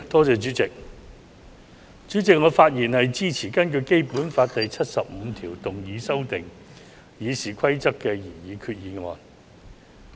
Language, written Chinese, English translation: Cantonese, 主席，我發言支持根據《基本法》第七十五條動議修訂《議事規則》的擬議決議案。, President I rise to speak in support of the proposed resolution moved under Article 75 of the Basic Law to amend the Rules of Procedure RoP